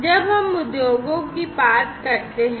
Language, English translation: Hindi, So, when we talk about industries